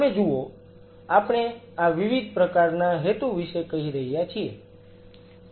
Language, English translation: Gujarati, You see, these are the different kind of purpose we are telling